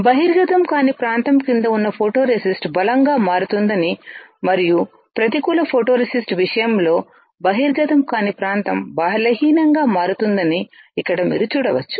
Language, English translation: Telugu, Here you can see that the photoresist under the area which was not exposed becomes stronger and in the negative photoresist case the area not exposed becomes weaker